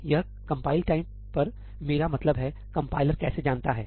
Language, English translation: Hindi, At compile time , I mean, how does the compiler know